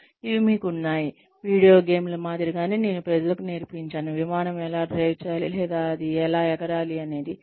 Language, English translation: Telugu, You have these, something similar to video games, that I used to teach people, how to drive an, or how to fly an Airplane